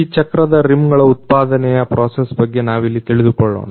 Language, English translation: Kannada, Here we come to know about the manufacturing process of these wheel rims